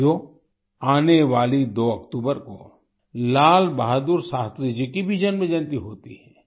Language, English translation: Hindi, the 2nd of October also marks the birth anniversary of Lal Bahadur Shastri ji